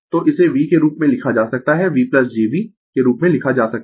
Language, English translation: Hindi, So, this can be written as V can be written as V plus jV dash